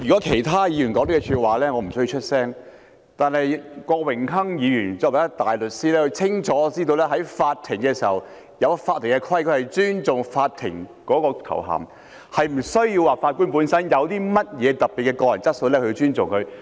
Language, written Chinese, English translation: Cantonese, 主席，如果是其他議員說這句話，我不需要出聲，但郭榮鏗議員身為一位大律師，他清楚知道在法庭上有法庭的規矩，必須尊重法官的頭銜，並非視乎法官本身有何特別的個人質素才可獲得尊重。, Chairman if any other Members made such remarks I do not have to speak up . But since Mr Dennis KWOK is a barrister who knows full well that the Court has its own rules of practice that is the titles of judges must be respected which is not decided by the specific qualities of individual judges